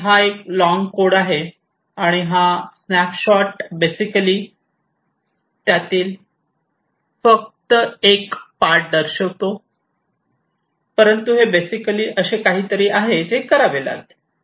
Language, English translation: Marathi, And this is a long code and you know these snapshot basically shows only part of it, but this basically is something that will have to be done